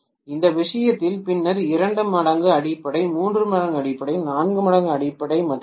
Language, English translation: Tamil, In this case then maybe 2 times the fundamental, 3 times the fundamental, 4 times the fundamental and so on